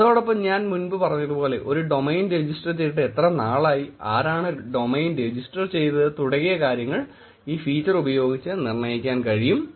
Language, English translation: Malayalam, Then in the past also I mentioned about how long the domain has been registered, who registered the domain and things like that